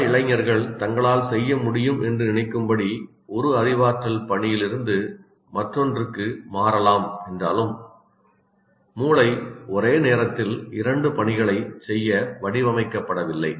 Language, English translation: Tamil, Though one may switch from one cognitive task to the other, which many angsters feel that they can multitask, but the brain is not designed to do two tasks at the same time